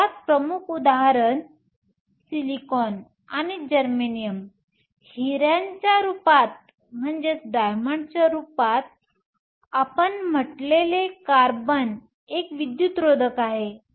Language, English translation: Marathi, So, most prominent example silicon and germanium; carbon we said in the form of diamond is an insulator